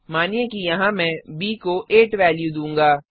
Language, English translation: Hindi, Suppose here I will reassign a new value to b as 8